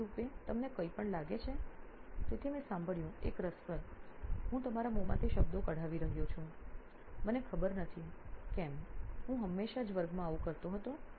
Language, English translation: Gujarati, Technologically do you find any, so I heard an interesting I am pulling words out of your mouth I do not know why I do that always as always even in class I used to that